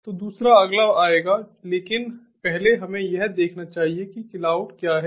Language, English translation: Hindi, so the second one will come next, but let us first look at what is cloud